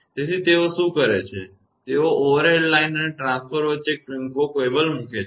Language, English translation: Gujarati, So, what they do is; they put a short cable between the overhead line and the transformer